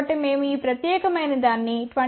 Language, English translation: Telugu, So, we had designed for 22